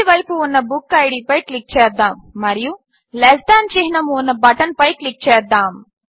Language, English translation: Telugu, Click on BookId on the right hand side and click on the button that has one Less than symbol